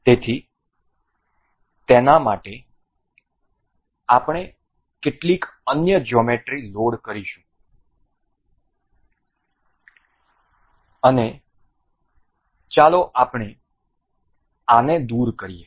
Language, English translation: Gujarati, So, for that we will load some other geometry let us just remove these I will insert component